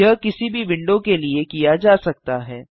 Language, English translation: Hindi, This can be done to any window